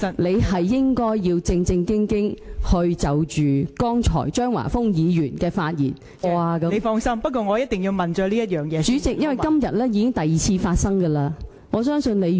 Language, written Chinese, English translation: Cantonese, 你應該正正經經就張華峰議員剛才的發言有否觸犯《議事規則》第414及415條，作出你獨立的裁決......, you should give a proper and independent ruling on whether the remarks made by Mr Christopher CHEUNG just now are in contravention of Rule 414 and 415 of the Rules of Procedure instead of asking him whether he has done anything wrong